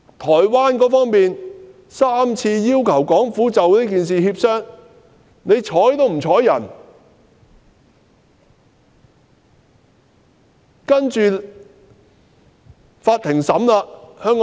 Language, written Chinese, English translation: Cantonese, 台灣當局曾3次要求港府就此事進行協商，但港府卻不瞅不睬。, The Taiwan authorities raised three requests with the Hong Kong Government for negotiations on this matter